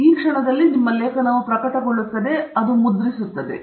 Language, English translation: Kannada, So, then your article gets published; it gets printed